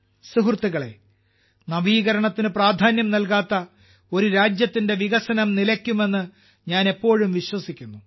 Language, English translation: Malayalam, Friends, I have always believed that the development of a country which does not give importance to innovation, stops